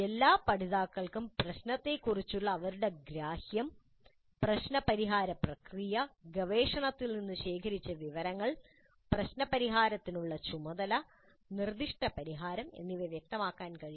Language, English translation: Malayalam, All learners must be able to articulate their understanding of the problem, the problem solving process, the information gathered from research and its relevance to the task of problem solving and the proposed solution